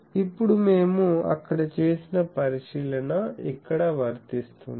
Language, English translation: Telugu, Now, the same consideration as we have done there applies here